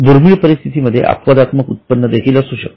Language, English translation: Marathi, In rare cases there can be also exceptional incomes